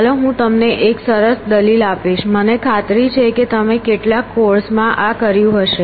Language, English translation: Gujarati, So, let me give you an nice argument of course, I am sure you have done this